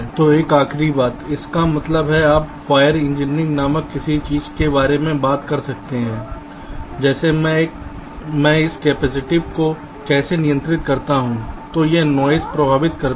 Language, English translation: Hindi, that means you can talk about something called wire engineering, like: how do i control this capacitive affects, then this noise